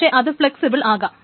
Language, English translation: Malayalam, , but it's flexible